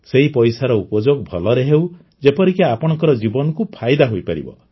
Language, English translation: Odia, Use that money well so that your life benefits